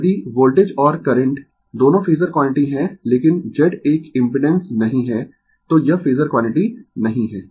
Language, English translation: Hindi, If voltage and current both are phasor quantity, but Z is not a impedance, it is not a phasor quantity right